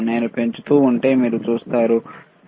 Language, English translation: Telugu, If I keep on increasing, you see